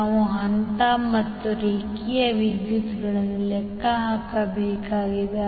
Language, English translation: Kannada, We need to calculate the phase and line currents